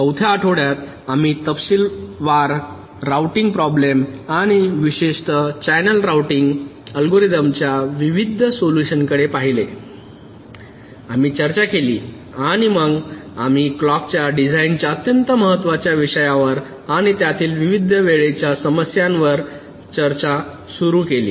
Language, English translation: Marathi, during the fourth week we looked at the detailed routing problem and the various solutions, in particular the channel routing algorithms we have discussed, and then we started our discussion on the very important issue of clock design and the various timing issues that come there in